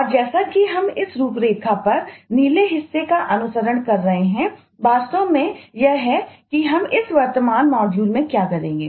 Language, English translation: Hindi, eh following the blue part on this outline is actually what we will do in this current module